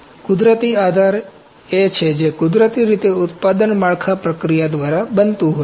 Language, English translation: Gujarati, Natural supports are those which are naturally occurring by the product built process